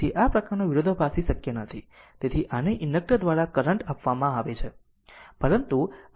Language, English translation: Gujarati, So, this kind of discontinuous not possible right so this is given current through inductor this is not allowed right